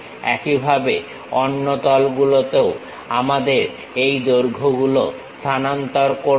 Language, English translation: Bengali, Similarly, we will transfer these lengths on other planes also